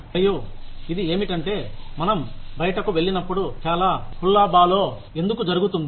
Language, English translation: Telugu, And this is, why a lot of hullabaloo takes place when we go out